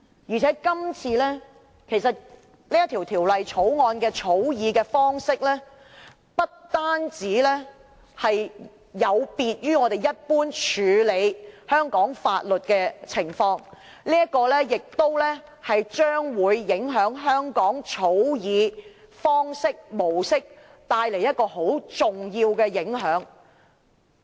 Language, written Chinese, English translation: Cantonese, 再者，這項《條例草案》的草擬方式，不但有別於我們一般制定香港法律的做法，亦會影響香港日後草擬法案的方式及模式，帶來很重要的影響。, Besides the drafting of this Bill is not only different from the normal practice of enacting local legislation but will also affect the way and mode of law drafting in Hong Kong in the future which will bring about very significant effects